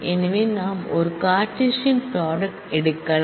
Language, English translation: Tamil, So, we can take a Cartesian product